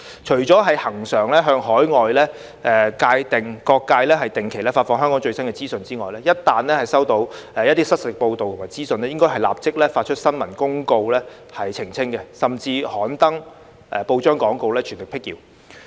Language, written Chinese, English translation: Cantonese, 除了恆常向海外各界定期發放香港最新的資訊之外，一旦收到失實報道及資訊，應該立即發出新聞公報澄清，甚至刊登報章廣告，全力闢謠。, In addition to regularly disseminating the latest information about Hong Kong to various sectors overseas they should immediately issue press releases to clarify inaccurate reports and misinformation and even place newspaper advertisements to dispel rumours with full efforts